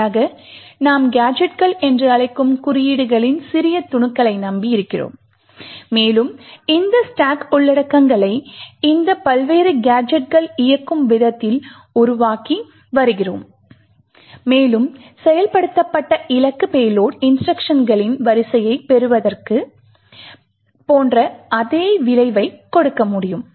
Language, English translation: Tamil, But rather, we are depending on small snippets of codes which we call gadgets and we are creating these the stack contents in such a way that these various gadgets execute and are able to give the same effect as having a sequence of the target payload instructions getting executed